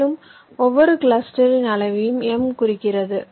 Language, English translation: Tamil, i take it out then, since the size of each cluster is m